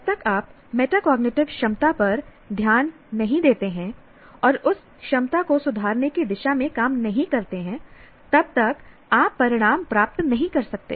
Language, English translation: Hindi, So unless you pay attention to the metacognitive ability and also work towards improving that ability, you cannot achieve the results